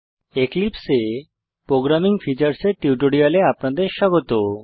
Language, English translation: Bengali, Welcome to the tutorial on Programming Features of Eclipse